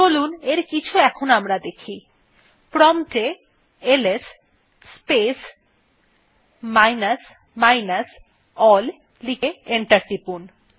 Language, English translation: Bengali, Let us see some of them, Type at the prompt ls space minus minus all and press enter